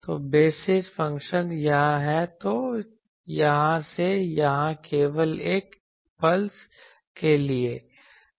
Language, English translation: Hindi, So, basis function is here so from here to here only a pulse